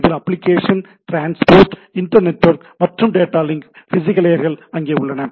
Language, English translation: Tamil, So, application, transport, internetwork and there are data link and physical